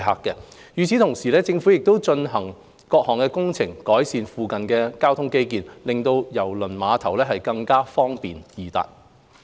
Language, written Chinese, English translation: Cantonese, 與此同時，政府亦正進行各項工程，改善附近的交通基建，令郵輪碼頭更方便易達。, At the same time the Government is carrying out various projects to improve transport infrastructure in the vicinity so as to make KTCT more accessible